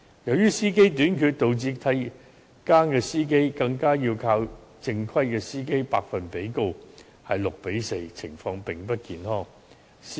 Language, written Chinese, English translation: Cantonese, 由於司機短缺，導致替更司機的百分比更較正規司機為高，比例為 6：4， 情況並不健康。, Given the shortage of drivers the percentage of relief drivers is even higher than that of regular drivers with the ratio reaching 6col4 . This represents an unhealthy situation